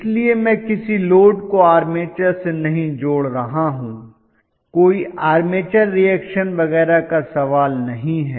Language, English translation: Hindi, So I am not connecting any load to the armature, there is no question of any armature reaction and so on and so forth